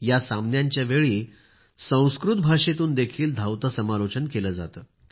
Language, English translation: Marathi, Commentary is also done in Sanskrit during the matches of this tournament